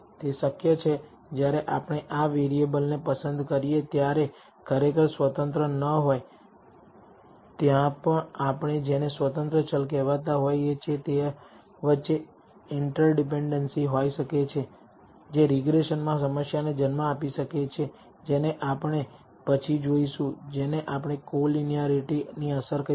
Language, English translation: Gujarati, It is possible when we select these vari ables they are not truly independent there might be interdependencies between the what we call so called independent variables that can give rise to problem in regression which we will see later the what we call the effect of collinearity